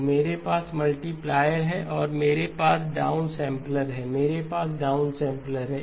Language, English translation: Hindi, So I have multiplier and then I have a down sampler, I have a down sampler